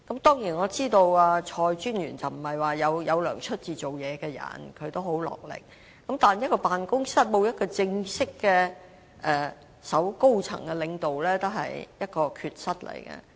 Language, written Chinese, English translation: Cantonese, 當然，我知道蔡專員並非要收取薪酬才做事，她很賣力，但一個辦公室沒有正式的高層領導也是一種缺失。, Of course I know that Commissioner CHOI does not work for the pay . She is very hard - working but it is a defect that an office is without an official senior leader